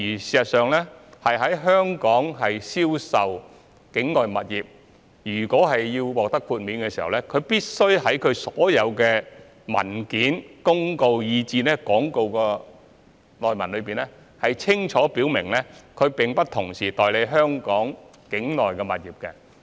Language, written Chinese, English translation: Cantonese, 事實上，若要在香港銷售境外物業並獲得豁免，必須在其所有文件、公告以至廣告的內文中，清楚表明沒有同時代理香港境內的物業。, In fact any person who wishes to engage in the sale of overseas properties in Hong Kong and be exempted from obtaining a licence must indicate clearly in all the papers public notices and advertisements that he is not an agent for properties in Hong Kong